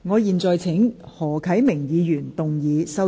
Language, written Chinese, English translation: Cantonese, 我現在請何啟明議員動議修正案。, I now call upon Mr HO Kai - ming to move his amendment